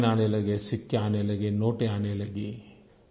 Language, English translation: Hindi, Then gradually came currency, coins came, notes came